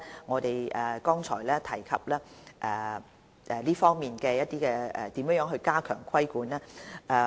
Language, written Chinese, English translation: Cantonese, 我們剛才也有提及如何加強這方面的規管。, We also mentioned earlier how regulation could be stepped up